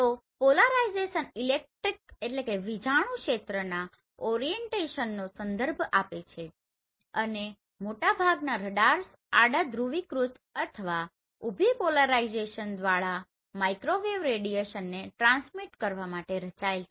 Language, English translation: Gujarati, So polarization refers to the orientation of the electric field and most radars are designed to transmit microwave radiation either horizontally polarized or vertically polarized